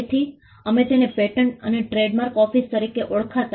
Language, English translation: Gujarati, So, we it used to be called the patent and trademark office